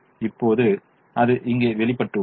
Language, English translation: Tamil, now that is shown here